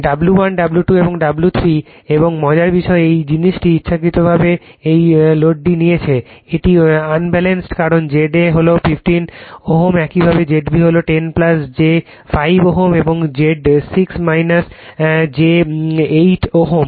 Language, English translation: Bengali, W 1 W 2 and W 3 and interesting thing this thing you have intentionally taken the this load is Unbalanced because Z a is simply 15 ohm , similarly Z b is 10 plus j 5 ohm and Z 6 minus j 8 ohm